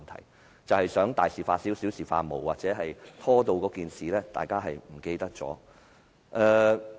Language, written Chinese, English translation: Cantonese, 那就是想大事化小，小事化無，或者把事情拖延至大家忘記為止。, That is it will just gloss over and water down things or to procrastinate the matter until everybody forgets